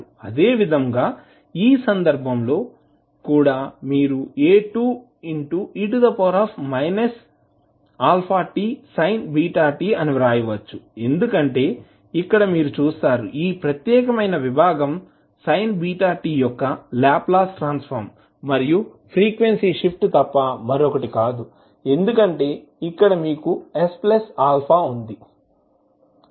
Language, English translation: Telugu, Similarly, for this case also, you can write A2 e to the power minus alpha t into sin beta t because here also you will see, that this particular segment is nothing but the Laplace transform of sin beta t plus the frequency shift because here you have s plus alpha